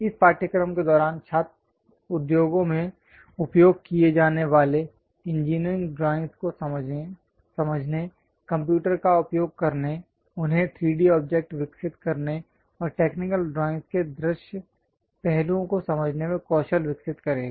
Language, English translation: Hindi, So, during this course, the student will develop skills on understanding of engineering drawings used in industries, how to design them using computers and develop 3D objects, having visual aspects of technical drawings, these are the objectives of our course